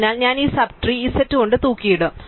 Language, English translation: Malayalam, So, I will hang up these sub trees here by z